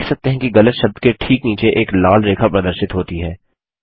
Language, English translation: Hindi, You see that a red line appears just below the incorrect word